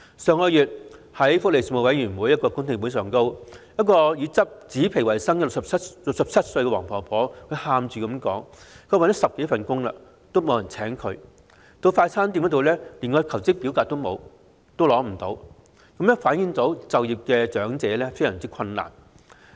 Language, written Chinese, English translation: Cantonese, 上月在福利事務委員會的公聽會上，以執紙皮維生的67歲黃婆婆哭訴找了10多份工也不獲聘請，到快餐店求職則連申請表格也拿不到，反映長者就業困難。, At the public hearing of the Panel on Welfare Services last month the 67 - year - old Mrs WONG who made ends meet by scavenging cardboards recounted in tears how her 10 - odd job hunts had all ended in vain and when she wanted to get a job at a fast food restaurant she was not even given an application form reflecting that elderly persons have difficulty getting employment